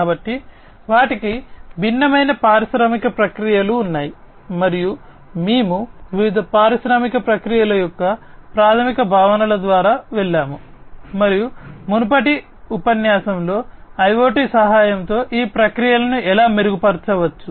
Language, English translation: Telugu, So, they have their own different industrial processes and we have gone through the basic concepts of different industrial processes and how these processes can be improved with the help of IoT in the previous lecture